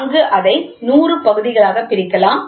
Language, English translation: Tamil, So, there it can be divided into 100 parts